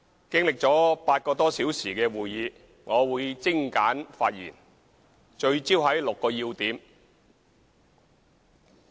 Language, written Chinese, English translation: Cantonese, 經歷了8個多小時的會議，我會精簡發言，聚焦在6個要點。, Having attended this meeting for some eight hours I will give a concise speech focused on six main points